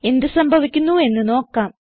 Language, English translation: Malayalam, let see what happens